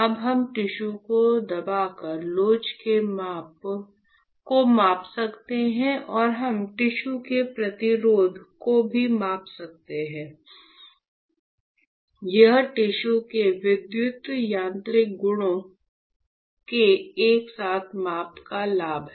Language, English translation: Hindi, So, now we can measure the elasticity by pressing the tissue and we can also measure the resistance of the tissue; this is the advantage of simultaneous measurement of electromechanical mechanical properties of tissue